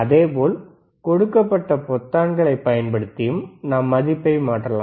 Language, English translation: Tamil, So, we can also change the value using the buttons given